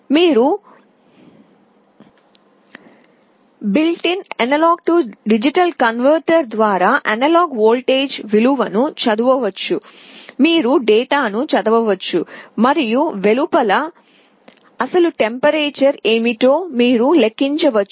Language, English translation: Telugu, You can read the value of the analog voltage through built in A/D converter, you can read the data and you can make a calculation what is the actual temperature outside